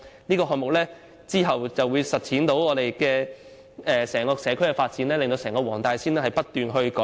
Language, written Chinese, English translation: Cantonese, 這個項目之後將實踐整個社區的發展，使黃大仙的整體居住環境不斷得到改善。, This should be followed by development of the community as a whole so that the overall living environment of Wong Tai Sin could be improved continuously